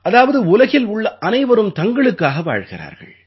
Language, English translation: Tamil, That is, everyone in this world lives for himself